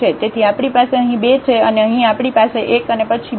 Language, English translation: Gujarati, So, we have here 2 and here we have 1 and then 2 again